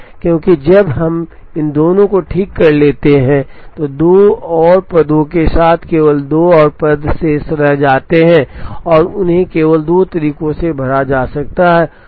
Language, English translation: Hindi, Because, when we fix these two, there are only two more positions remaining with two more jobs remaining and they can be filled only in two ways